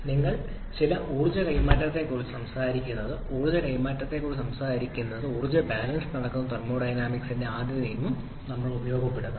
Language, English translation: Malayalam, we are talking about some energy transfer and whenever we are talking about energy transfer we have to make use of the 1st law of thermodynamics which gives you the energy balance